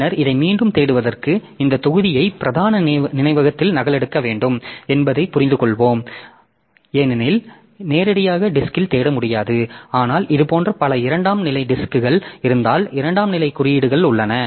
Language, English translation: Tamil, So, for searching onto this again you can understand that this block has to be copied onto main memory because we cannot search directly on disk but that way you are just if there are multiple such second level disk second level indices available